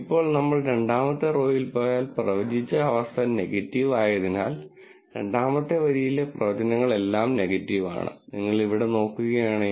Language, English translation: Malayalam, Now, if we go to the second row, the second row the predictions are all negative because predicted condition negative and if you look at this right here